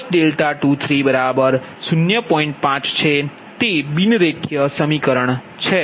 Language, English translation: Gujarati, this is a non linear equation, right